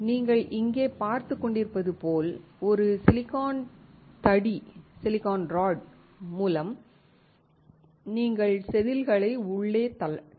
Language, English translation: Tamil, As you can see here, there is a silicon rod through which you can push the wafer inside